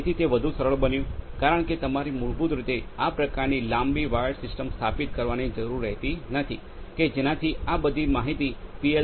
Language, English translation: Gujarati, So, that becomes much more handy because you need not to basically control the you know need not to install such a long wired system to bring all the information to the PLC